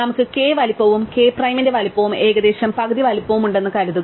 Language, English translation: Malayalam, Suppose we have size of k and size of k prime roughly the size of half